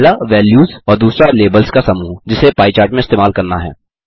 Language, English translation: Hindi, First one the values and the next one the set of labels to be used in the pie chart